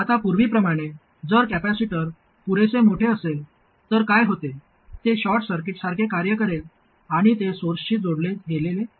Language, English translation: Marathi, Now as before, if the capacity is sufficiently large, what happens is that it will act like a short circuit and it is as though the source is connected to ground